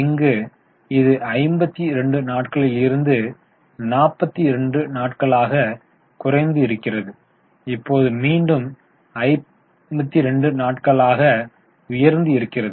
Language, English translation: Tamil, So it was 52 days, then it came down to 42 days, now again it is 52 days